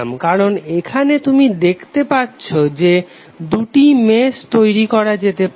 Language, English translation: Bengali, Because here it is you can see that you can create two meshes